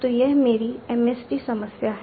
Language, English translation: Hindi, So this is my MSD problem